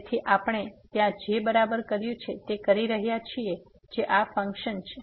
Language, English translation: Gujarati, So, doing exactly what we have done there now the function is this one